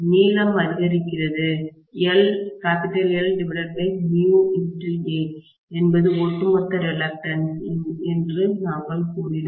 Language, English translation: Tamil, The length increases, we said L by mu A is the overall reluctance